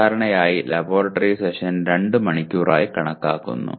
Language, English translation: Malayalam, Normally laboratory session is considered to be 2 hours